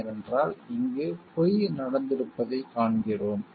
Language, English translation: Tamil, Because we find lying has happened over here